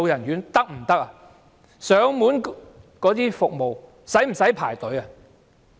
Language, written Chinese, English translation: Cantonese, 現時的上門照顧服務需要輪候嗎？, Do they not need to wait for home care services?